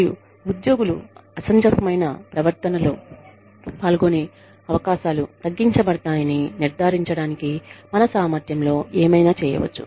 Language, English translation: Telugu, And, we can do, whatever is in our capacity, to ensure that, the chances of employees, engaging in unreasonable behavior, are minimized